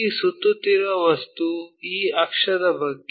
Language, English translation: Kannada, So, this revolving objects is about this axis